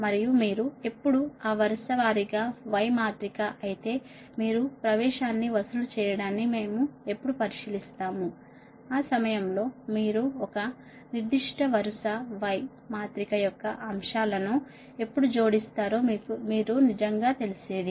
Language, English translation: Telugu, if you, if you ah that row wise y matrix later, when we will consider charging admittance, when you will, when you will add the elements of a particular row of y matrix, at that time you really something else right